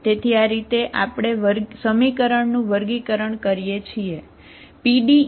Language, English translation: Gujarati, So we will try to see how do you classify these equations